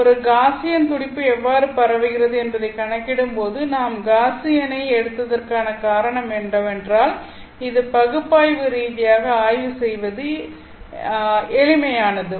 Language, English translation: Tamil, When calculating how a Gaussian pulse would spread, the reason we took Gaussian is because it kind of is simple to analyze analytically